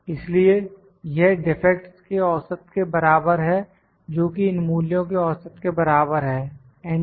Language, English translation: Hindi, So, this is equal to the average of the defects is equal to average of these values, enter